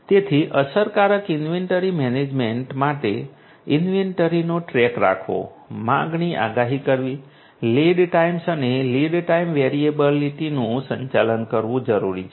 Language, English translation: Gujarati, So, for effective inventory management it is required to keep track of the inventory, to forecast the demand, to manage the lead times and the lead time variability